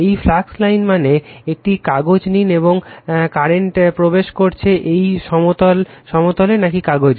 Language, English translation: Bengali, This flux line means you take a paper, and current is entering into the plane or into the paper right